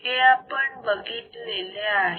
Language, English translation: Marathi, What we have seen